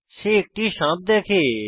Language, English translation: Bengali, He spots a snake